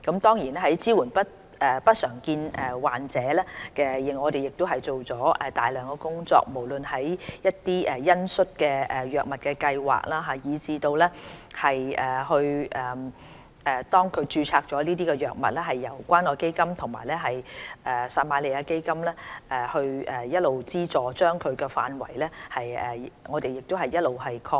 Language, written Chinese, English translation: Cantonese, 在支援不常見病患者方面，我們也做了大量工作，不論是恩恤用藥計劃，以至當局註冊相關藥物後由關愛基金和撒瑪利亞基金資助的範圍亦一直擴闊。, We have also done a great deal with regard to supporting patients of uncommon disorders . The scopes of the compassionate programmes on the use of drugs and the subsidy scopes of the Community Care Fund and the Samaritan Fund on the relevant drugs as registered by the authorities have all along been expanding